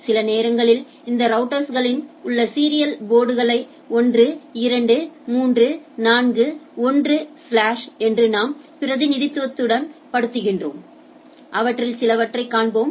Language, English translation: Tamil, Sometimes we represent by the serial port of this router 1, 2, 3, 4, 1 slash like this type of representation we will see some of those